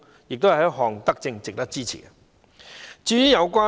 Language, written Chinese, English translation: Cantonese, 這是一項德政，值得支持。, This is a benevolent measure worth supporting